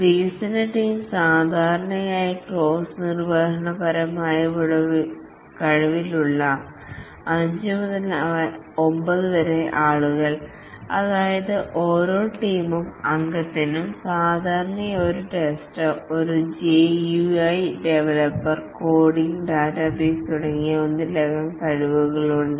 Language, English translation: Malayalam, The development team typically 5 to 9 people with the crossfunctional skills, that means each team member typically has multiple skills, may be a tester, a GY developer, coding, database, and so on